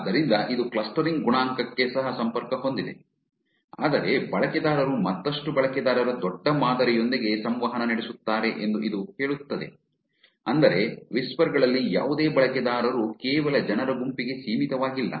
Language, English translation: Kannada, So, which is also connected to the clustering coefficient, but this says that users interact to the large sample of further users which means any user in whisper is not restricted only to a set of people